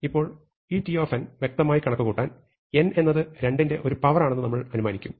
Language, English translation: Malayalam, Now, in order to compute this t of n explicitly, we will assume that n is a power of 2